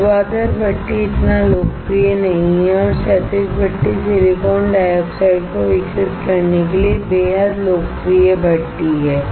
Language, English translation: Hindi, Vertical furnace is not so popular and horizontal furnace is the extremely popular furnace to grow the silicon dioxide